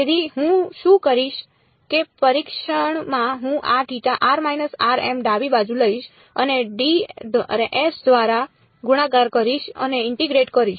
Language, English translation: Gujarati, So, in testing what will I do I will take this left hand side and multiplied by delta of r minus r m and integrate over d r